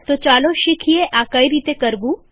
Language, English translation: Gujarati, So let us learn how to do this